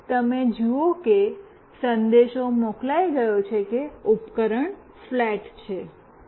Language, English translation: Gujarati, Now, you see message has been sent that the device is flat